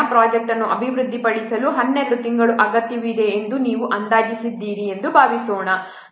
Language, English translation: Kannada, Suppose you have estimated that 12 months will be required to develop the project